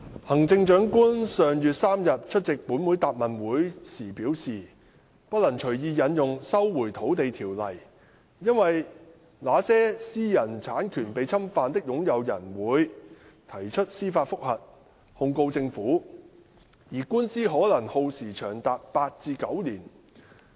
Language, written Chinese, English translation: Cantonese, 行政長官於上月3日出席本會答問會時表示，不能隨意引用《收回土地條例》，因為"那些私有產權被侵犯的擁有人會......提出司法覆核控告政府"，而官司可耗時長達八至九年。, When she attended this Councils Question and Answer Session held on the 3 of last month the Chief Executive CE advised that the Lands Resumption Ordinance should not be invoked arbitrarily because owners whose private ownership is being infringed upon will apply for judicial review against the Government and such lawsuits might last for as long as eight to nine years